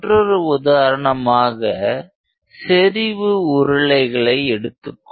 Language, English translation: Tamil, Let us say we have concentric cylinders